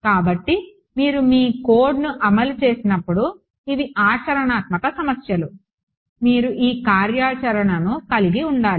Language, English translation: Telugu, So, these are implementation issues when you implement your code you should have this functionality